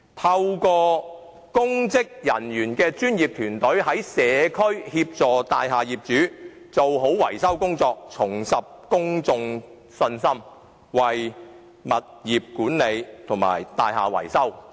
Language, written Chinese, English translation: Cantonese, 透過由公職人員組成的專業團隊，在社區協助大廈業主做好維修工作，政府便能令公眾重拾信心，並為物業管理及大廈維修做好把關工作。, Through professional teams of public officers who render assistance to owners in the community in the conduct of maintenance works the Government can command public confidence afresh and properly keep the gate for property management and building maintenance